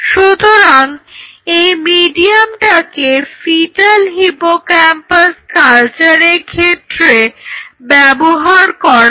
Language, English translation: Bengali, So, this is the medium which is used for embryonic or sorry, fetal hippocampal culture